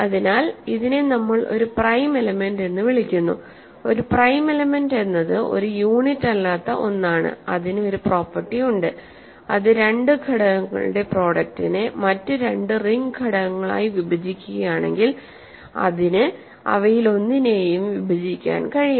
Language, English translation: Malayalam, So, this is what we call a prime element, a prime element is one which is not a unit and it has a property that if it divides a product of two elements two other ring elements, it must divide one of them